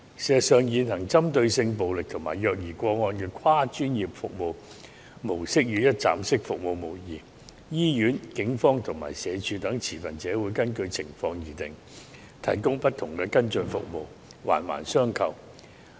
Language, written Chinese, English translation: Cantonese, 事實上，現行針對性暴力及虐兒個案的跨專業服務模式與一站式服務無異，醫院、警方及社署等持份者會根據情況提供不同的跟進服務，環環相扣。, In fact the model of the existing multi - disciplinary service which aims at sex violence and child abuse is not different from a one - stop service centre as the hospital the Police SWD and other stakeholders will provide their follow - up services according to the situation and each part is interconnected with another . Besides the current model has been proven effective